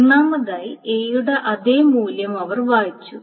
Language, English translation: Malayalam, So first of all, they read the same value of A